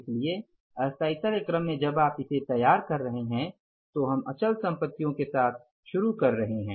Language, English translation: Hindi, So, in the order of permanence when you are preparing it, we are starting with the fixed assets